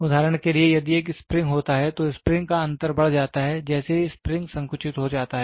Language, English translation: Hindi, For example, if there is a spring, the spring difference increases so, moment the spring gets compressed